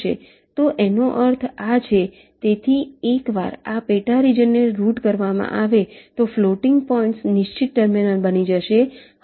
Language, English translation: Gujarati, so once this sub region is routed, the floating points will become fixed terminals